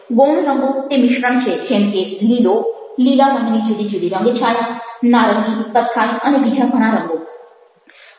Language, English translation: Gujarati, secondary colors are combinations like may be green, different shades of green, oranges, browns and number of other colors